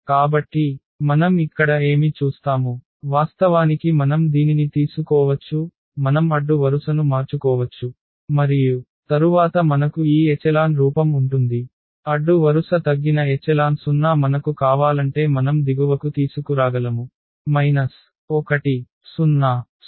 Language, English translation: Telugu, So, what do we see here, we can actually just take this we can interchange the row and then we have this echelon form; row reduced echelon form the 0 we can bring to the bottom if we like